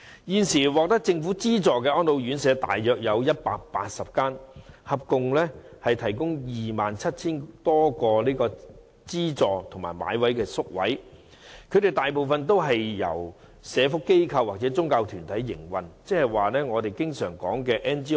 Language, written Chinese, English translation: Cantonese, 現時獲政府資助的安老院舍大約有180間，合共提供 27,000 多個資助及購買的宿位，當中大部分也是由社福機構或宗教團體營運，即我們經常說的 NGO。, At present there are around 180 subsidized homes providing some 27 000 subsidized and bought places and most of these homes are operated by welfare organizations or religious groups which we commonly called non - governmental organizations NGOs